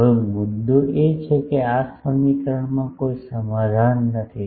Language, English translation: Gujarati, Now, the point is this equation does not have a solution